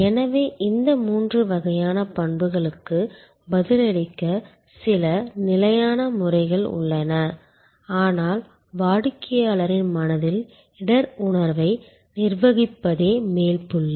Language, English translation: Tamil, So, there are some standard methods of responding to these three types of attributes, but the top point there is managing the risk perception in customer's mind